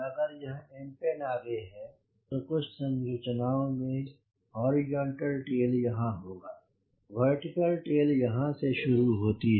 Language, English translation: Hindi, we could see that for an aeroplane, if this is the empennage, some configuration will have horizontal tail here and vertical tail is starting from here